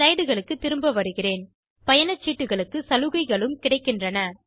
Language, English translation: Tamil, Let us go back to the slides, There are concessional rates available